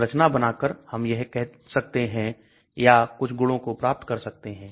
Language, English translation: Hindi, By drawing the structure, I can say or try to predict some property